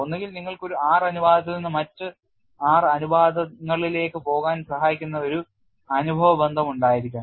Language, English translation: Malayalam, There is no other way; either you should have an empirical relation which helps to you get from one R ratio to other R ratios; otherwise you have to do exhaustive test